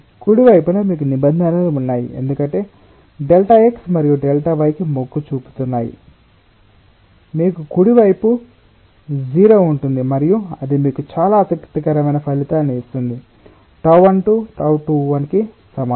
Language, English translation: Telugu, in the right hand side you have terms, because delta x and delta y are tending to zero, you have the right hand side tending to zero and that will give you a very interesting result: tau one two is equal to tau two one